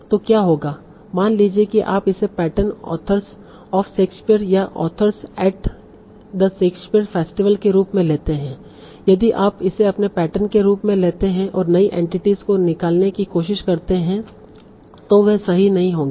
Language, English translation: Hindi, Suppose you take it as your pattern, authors of Shakespeare or authors at the Shakespeare festival, if you take this as your pattern, if you try to accept new entities, they will not be correct